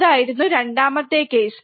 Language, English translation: Malayalam, That was the second case